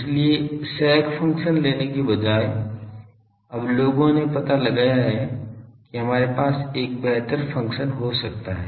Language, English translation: Hindi, So, in instead of taking sec function, now people have found out that we can have a better function that